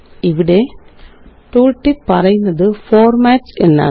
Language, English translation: Malayalam, The tooltip here says Formats